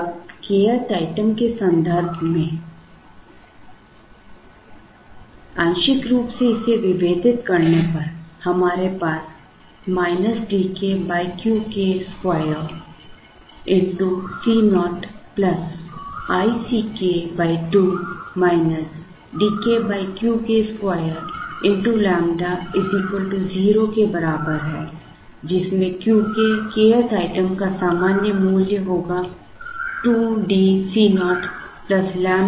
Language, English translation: Hindi, Now, partially differentiating this with respect to the k’th item, we will have minus D k by Q k square into C naught plus i C k by 2 minus D k by Q k square lambda equal to 0; from which Q k, general value for the k’th item will be 2 D into C naught plus lambda by i C k